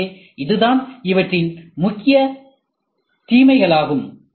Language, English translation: Tamil, So, this is what is the major disadvantage